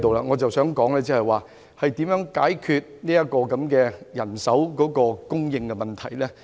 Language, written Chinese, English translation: Cantonese, 我想說的是，如何解決法官人手供應的問題。, I am talking about how the shortage of judicial manpower can be solved